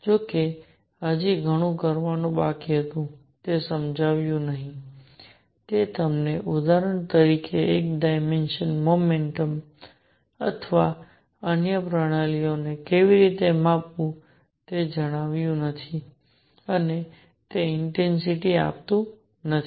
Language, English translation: Gujarati, However, there was much more to be done did not explain, it did not tell you how to quantize one dimensional motion for example, or other systems and it did not give the intensity